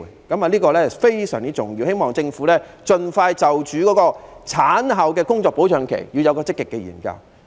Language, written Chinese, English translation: Cantonese, 這是非常重要的，我希望政府盡快就婦女產後的工作保障期作出積極研究。, Since this is so important I hope that the Government can have a proactive study on postpartum job protection period for women as soon as possible